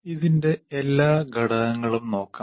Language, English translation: Malayalam, Let us look at all the elements of this